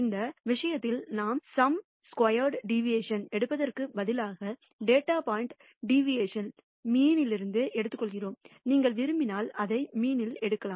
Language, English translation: Tamil, In this case instead of taking the sum squared deviation, we take the absolute deviation of the data point from the mean; you can also take it from the median if you wish